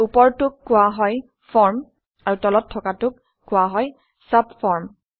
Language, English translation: Assamese, The one above is called the form and the one below is called the subform